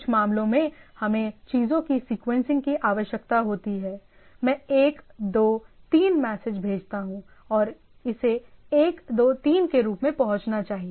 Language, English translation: Hindi, Another in some cases we require sequencing of the things right, I send message one, two, three and it should be reached as a one, two, three right